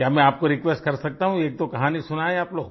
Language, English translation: Hindi, May I request you to narrate a story or two